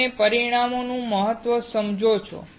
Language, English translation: Gujarati, You understand the importance of dimensions